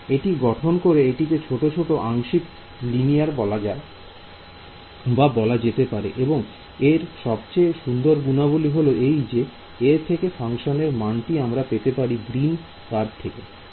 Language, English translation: Bengali, So, by constructing this it is piecewise linear and what is the nice property that you can see coming out of this, the function given by the green curve is